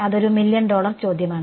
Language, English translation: Malayalam, That is the sort of million dollar question ok